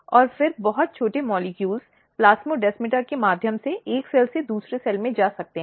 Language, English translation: Hindi, And then very,very few molecules or very small molecules can move from one cell to another cell through the plasmodesmata